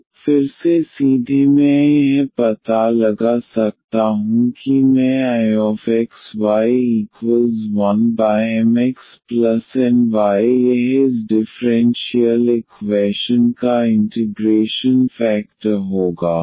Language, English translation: Hindi, So, again directly one can find out this I x, y as 1 over M x plus N y this will be the integrating factor of this differential equation